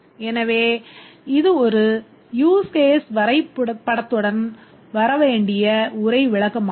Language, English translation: Tamil, So, this is the text description that should accompany every use case diagram